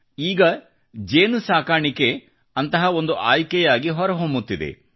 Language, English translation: Kannada, Now bee farming is emerging as a similar alternative